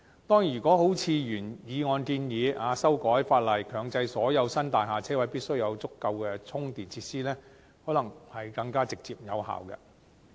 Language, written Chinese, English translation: Cantonese, 當然，如果如原議案的建議，修改法例強制所有新大廈車位必須有足夠充電設施，可能會更直接有效。, Definitely it may be more directly effective if the original proposal of amending the legislation to make it mandatory for all parking spaces in new buildings to be provided with adequate charging facilities was adopted